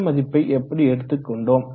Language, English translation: Tamil, How do we arrive at this value